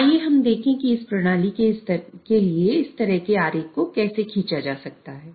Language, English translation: Hindi, So, let us see how such a kind of a diagram can be drawn for this system